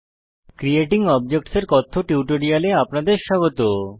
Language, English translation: Bengali, Welcome to the spoken tutorial on Creating objects